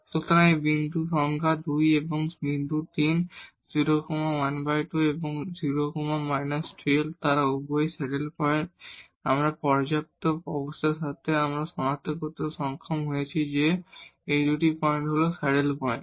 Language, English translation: Bengali, So, these point number 2 and point 3, 0 plus half and 0 minus half they both are the saddle points, with our sufficient conditions we are able to identify that these 2 points are the saddle points